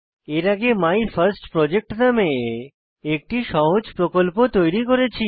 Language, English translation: Bengali, Earlier we had created a simple Project named MyFirstProject